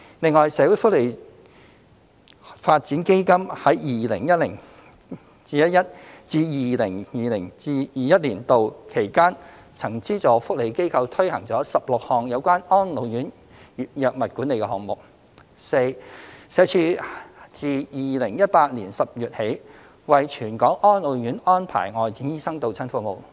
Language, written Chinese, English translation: Cantonese, 另外，社會福利發展基金在 2010-2011 年度至 2020-2021 年度期間，曾資助福利機構推行了16項有關安老院藥物管理的項目； d 社署自2018年10月起為全港安老院安排外展醫生到診服務。, Besides between 2010 - 2011 and 2020 - 2021 the Social Welfare Development Fund subsidized welfare organizations to implement 16 drug management projects for RCHEs; d Since October 2018 SWD has arranged the Visiting Medical Practitioner Service for all RCHEs in the territory